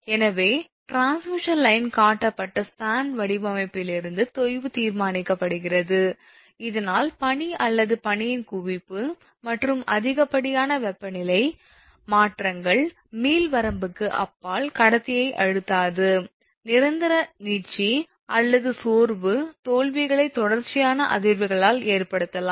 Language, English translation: Tamil, Therefore, sag is determined from the span design at which the transmission line is constructed, so that accumulation of snow or ice and excessive temperature changes will not stress the conductor beyond the elastic limit, may cause permanent stretch or fatigue failures from continued vibration